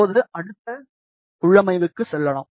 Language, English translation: Tamil, Now, let us go to the next configuration